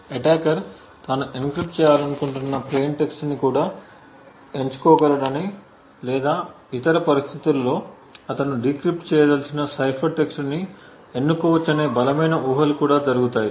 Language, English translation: Telugu, Stronger assumptions are also done where we make the assumption that the attacker also can choose the plain text that he wants to encrypt or in other circumstances choose the cipher text that he wants to decrypt